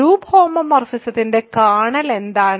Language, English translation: Malayalam, What is a kernel of a group homomorphism